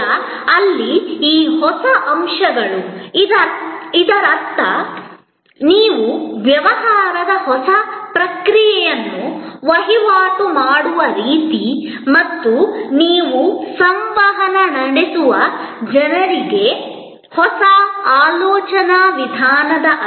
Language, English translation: Kannada, Now, there, these new elements; that means the way you transact the new process of transaction and the people with whom you interact need new way of thinking